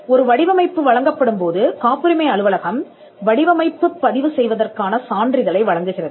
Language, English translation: Tamil, When a design is granted, the patent office issues a certificate of registration of design